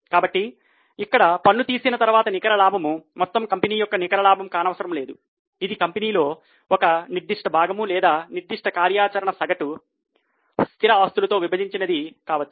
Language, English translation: Telugu, So, net profit after tax here it need not be the net profit of the whole company, it can be the profit from that particular plant or that particular activity divided by average fixed assets